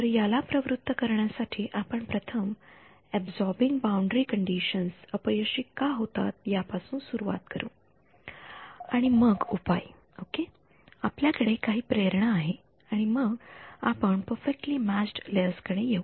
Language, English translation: Marathi, So, to motivate this first we will start with a why do absorbing boundary conditions fail and then the remedy ok, we have some motivation and then we come to perfectly matched layers